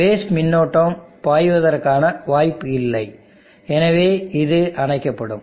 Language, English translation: Tamil, There is no base current flow, chance for base current to flow this will turn off